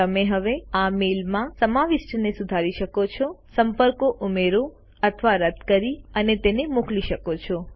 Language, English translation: Gujarati, You can now modify the content in this mail, add or delete contacts and send it